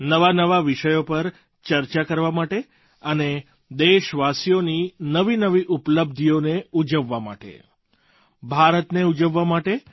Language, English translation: Gujarati, This is to discuss newer subjects; to celebrate the latest achievements of our countrymen; in fact, to celebrate India